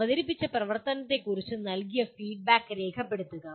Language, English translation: Malayalam, Document the feedback given on a presented activity